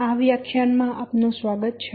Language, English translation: Gujarati, Welcome to this lecture about this lecture